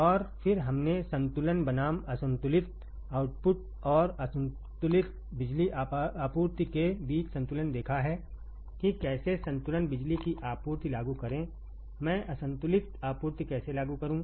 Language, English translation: Hindi, And then we have seen the balance versus unbalance output and, balance versus unbalanced power supply also how to apply balance power supply, how do I apply unbalance supply